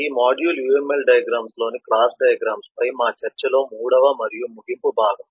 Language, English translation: Telugu, this module is the 3rd and concluding part of our discussions on class diagrams as uml diagrams